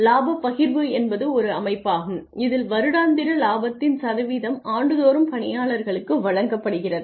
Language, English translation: Tamil, Profit sharing is a system in which the, a percentage of the annual profit is disbursed to the employees annually